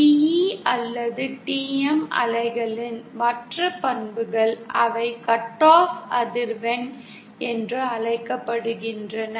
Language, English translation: Tamil, The other property characteristics of TE or TM wave is they have something called as cut off frequency